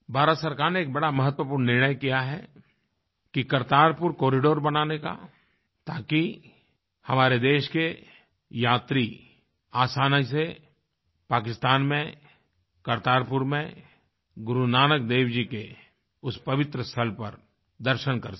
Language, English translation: Hindi, The Government of India has taken a significant decision of building Kartarpur corridor so that our countrymen could easily visit Kartarpur in Pakistan to pay homage to Guru Nanak Dev Ji at that holy sight